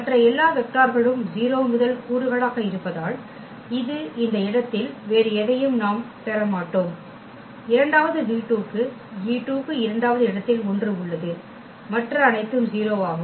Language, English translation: Tamil, And no where else we will get anything at this place because all other vectors have 0 as first component; for the second v 2 only the e 2 has 1 at the second place all others are 0